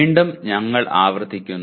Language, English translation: Malayalam, Again, we are repeating